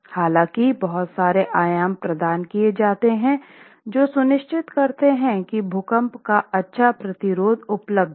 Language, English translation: Hindi, Prescriptions are provided to ensure that good earthquake resistance is available